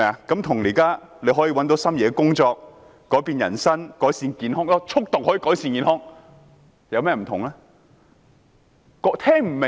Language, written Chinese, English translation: Cantonese, 跟"大家可以找到心儀的工作"、"改變人生"、"改善健康"——速讀可以改善健康——有何不同？, How are they different from everyone can find their favourite job life will be changed and health will be improved? . Speed reading can improve health?